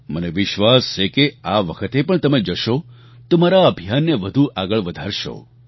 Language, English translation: Gujarati, I am sure that even this time if you go, you will lend further fillip to my campaign